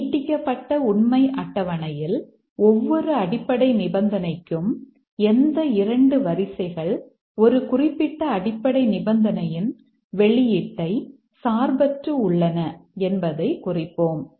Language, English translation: Tamil, In the extended truth table for each basic condition we will keep a note of which two rows independently influence the output for a specific basic condition